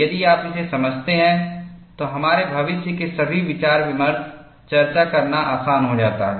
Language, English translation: Hindi, If you understand this, all our future discussions, it becomes easier to discuss